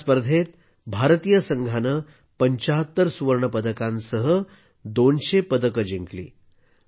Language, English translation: Marathi, In this competition, the Indian Team won 200 medals including 75 Gold Medals